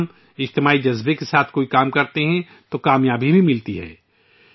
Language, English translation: Urdu, When we perform any work with this spirit of collectivity, we also achieve success